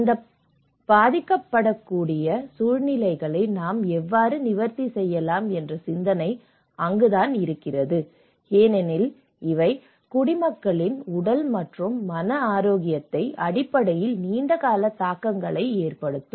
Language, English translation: Tamil, And that is where the thought of how we can address these vulnerable situations because these are going to have a long term impacts both in terms of the physical and the mental health of the inhabitants